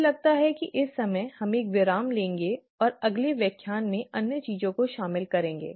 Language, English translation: Hindi, I think at this point in time, we will take a break for the next , and cover the other things in the next lecture